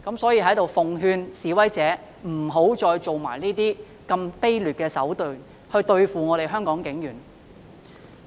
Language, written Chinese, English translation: Cantonese, 所以，在這裏奉勸示威者，不要再以這種卑劣的手段來對付香港警察。, Therefore I urge protesters to stop using this despicable approach against the Hong Kong Police